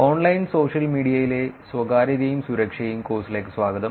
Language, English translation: Malayalam, Welcome back to the course Privacy and Security in Online Social Media